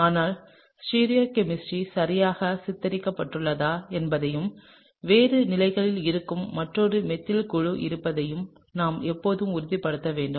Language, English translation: Tamil, But we should always make sure that the stereochemistry is depicted correctly and there is another methyl group which is on a different position